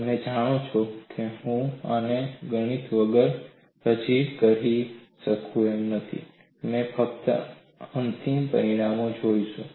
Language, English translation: Gujarati, You know, I am going to present this without much of mathematics we will only look at the final results